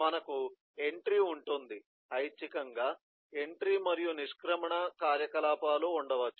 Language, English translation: Telugu, eh, besides, we will have an entry may optionally may have entry and exit activities